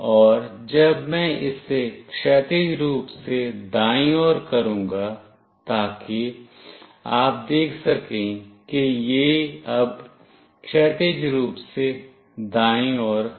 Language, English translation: Hindi, And now I will make it horizontally right, so you can see that it is now horizontally right